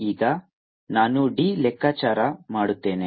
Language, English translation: Kannada, now i will calculate d